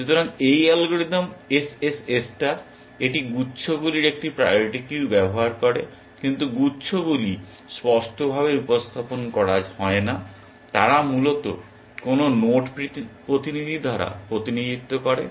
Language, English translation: Bengali, So, this algorithm SSS star, it uses a priority queue of clusters, but clusters are not represented explicitly, they are represented by the representative node essentially